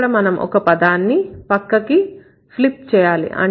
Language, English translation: Telugu, We have to just flip the side